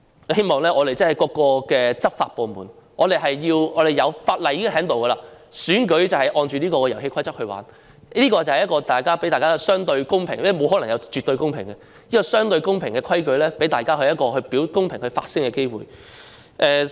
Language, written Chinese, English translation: Cantonese, 我希望各個執法部門......我們已訂立了相關法例，選舉便應按着這套遊戲規則進行，讓大家有一個相對公平的環境——因為沒有可能有絕對公平——這套規矩能讓大家有一個公平發聲的機會。, Secretary it appears to me that the Bureau does not have any comprehensive plan to ensure the smooth running of the election so I hope various law enforcement departments As we have already enacted relevant legislation our elections should be conducted according to this set of rules so as to enable us to have a relatively fair environment―because there is no such thing as absolute fairness―and this set of rules will allow us to have equal opportunities to voice our views